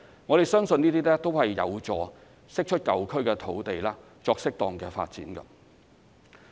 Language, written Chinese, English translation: Cantonese, 我們相信這些均有助釋出舊區土地作適當發展。, We believe these measures will help release land in old districts for suitable development